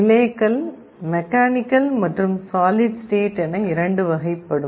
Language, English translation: Tamil, Relays can be of two types, mechanical and solid state